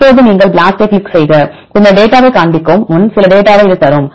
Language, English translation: Tamil, Now you click on BLAST then it will give you the some data before showing the data